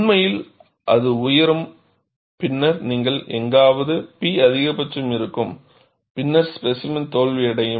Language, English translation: Tamil, In fact, it I will go rise and then you will have somewhere P max and then, the specimen will fail